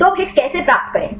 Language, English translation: Hindi, So, now how to get the hits